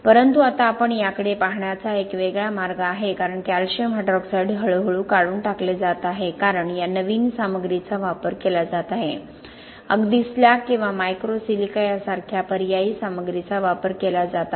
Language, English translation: Marathi, But this is now a different way of we should be looking at it because that calcium hydroxide is gradually being removed because of these new materials are being used, even using substitute materials like slag or micro silica